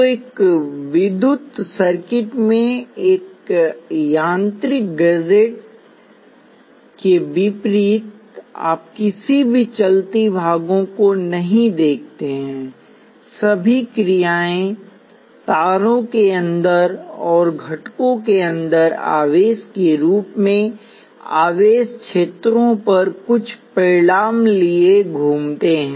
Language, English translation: Hindi, So, unlike a mechanical gadgets in an electrical circuit you do not say any moving parts; all the actions happens inside the wires and inside the components in the forms of charges moving and fields taking on some values and somewhere and so on